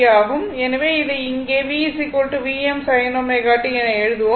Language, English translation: Tamil, So, it is V is equal to V m sin omega t